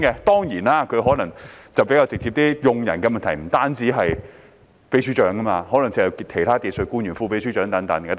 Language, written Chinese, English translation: Cantonese, 當然，他可能比較直接，而用人的問題亦不止關乎常任秘書長，還可能涉及其他技術官員例如副秘書長等。, Of course he might sound a little bit point - blank and this personnel issue may also involve other technocrats such as the Deputy Secretary besides the Permanent Secretary alone